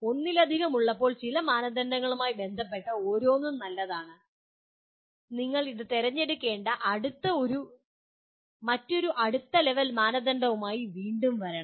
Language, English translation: Malayalam, When there are multiple, each one is good with respect to some criteria, you have to again come with another next level criterion from which you have to select this